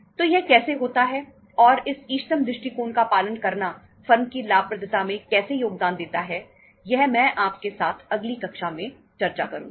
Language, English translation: Hindi, So how that does how that takes place and how say following the optimum approach contributes into the profitability of the firm that I will discuss with you in the next class